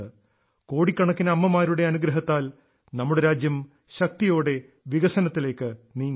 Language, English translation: Malayalam, With the blessing of such families, the blessings of crores of mothers, our country is moving towards development with strength